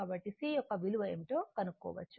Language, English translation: Telugu, So, you can kind out what is the value of C right